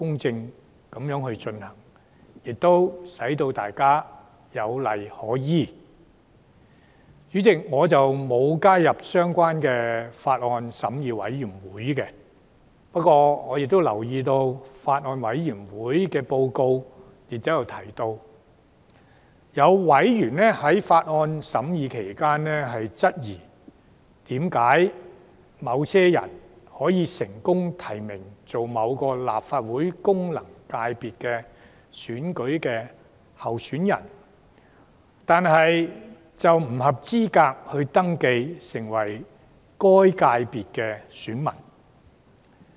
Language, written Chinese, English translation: Cantonese, 主席，我沒有加入這項《條例草案》的法案委員會，不過我留意到法案委員會的報告提到，有委員在法案審議期間，質疑為何有成功獲提名為某立法會功能界別選舉的候選人，並不符合該界別的選民資格。, President I did not join the Bills Committee of the Bill but I noticed that it was mentioned in the Bills Committee report that some Member queried why someone could be nominated as a candidate of a certain FC of the Legislative Council but was ineligible to be an elector of that FC